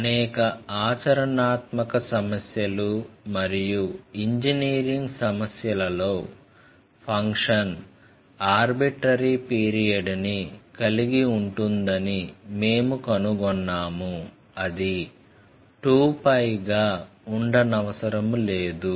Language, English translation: Telugu, Means in many practical problems and engineering problems, we have found that the function may have arbitrary period, not necessarily it will be twice pi